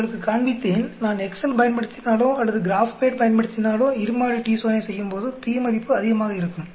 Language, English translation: Tamil, I showed you if I use Excel or if I use GraphPad when I run a two sample t Test, the p value is much higher